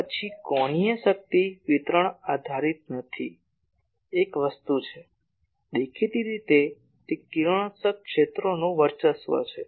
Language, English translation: Gujarati, Then angular power distribution is not dependent on so, one thing is; obviously, it is radiating fields dominate